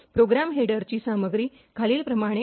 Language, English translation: Marathi, So, the contents of the program header are as follows